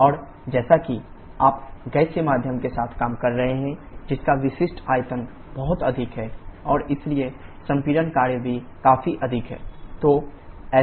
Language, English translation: Hindi, And as you are working with the gaseous medium whose specific volume is very high and therefore the compression work is also significantly higher